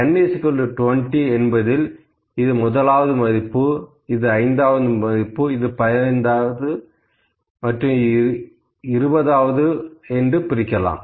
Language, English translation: Tamil, You can say, this is first value, this is fifth, this is tenth, this is fifteenth and this is twentieth for n is equal to 20, ok